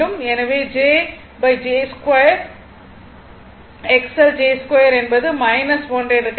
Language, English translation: Tamil, So, j upon j square X L j square is minus 1